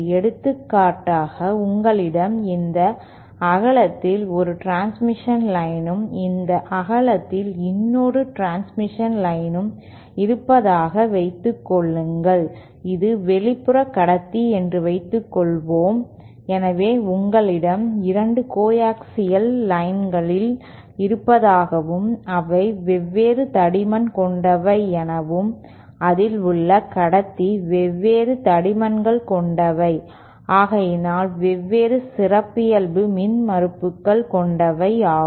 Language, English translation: Tamil, For example, say you have 1 transmission line of this width and another of this width and suppose this is the outer conductor, so say you have 2 coaxial lines which are of different thickness where the inner conductor is of different thickness and therefore of different characteristic impedances